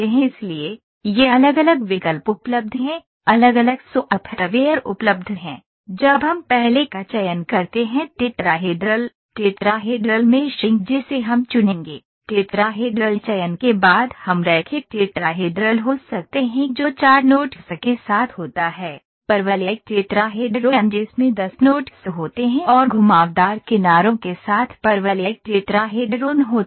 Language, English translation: Hindi, So, these are the different options available different software’s when we select first is tetrahedral, tetrahedral meshing we will select, after tetrahedral selection we can have linear tetrahedral that is with four nodes, parabolic tetrahedron that has 10 nodes and parabolic tetrahedron with curved edges it again has 10 nodes